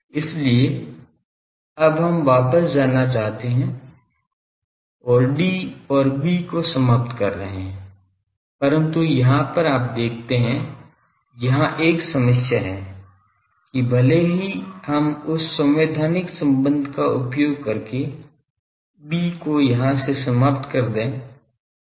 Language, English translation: Hindi, So, now we want to go back and eliminate D and B, so but here you see there is a problem that even if we eliminate B from here by using that constitutive relations